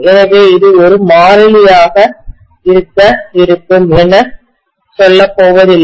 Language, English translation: Tamil, So we are not going to have this as a constant, fine